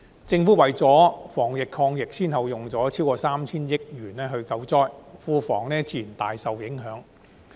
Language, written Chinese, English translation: Cantonese, 政府為了防疫抗疫先後用了超過 3,000 億元救災，庫房自然大受影響。, In order to prevent and combat the pandemic the Government has spent an aggregate amount of over 300 billion on relief efforts which inevitably has a huge impact on the public coffers